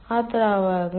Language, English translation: Malayalam, so what are the fluids